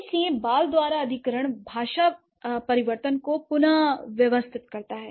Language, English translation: Hindi, So, the acquisition by child individuals recapitulates language change